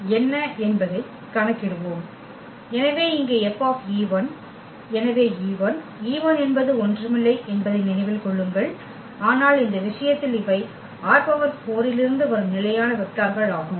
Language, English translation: Tamil, So, here F e 1, so e 1 just remember that e 1 is nothing but in this case these are the standard vectors from R 4